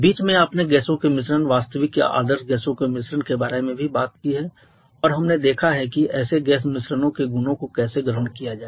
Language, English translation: Hindi, In between you have also talked about the mixture of gaseous mixture of real or ideal gaseous and we have seen how to assume in the properties of such gas mixtures